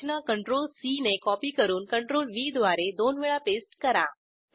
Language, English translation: Marathi, Press CTRL + C to copy and CTRL+V twice to paste the structures